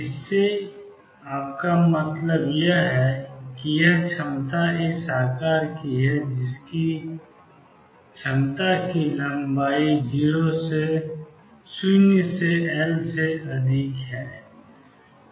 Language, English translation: Hindi, What you mean by that is this potential is of this shape with a potential being 0 over a length L